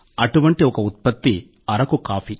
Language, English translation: Telugu, One such product is Araku coffee